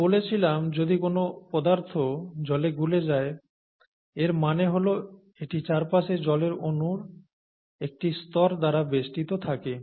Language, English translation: Bengali, Now we said that if a substance dissolves in water, it means that it is surrounded by a layer of water molecules, okay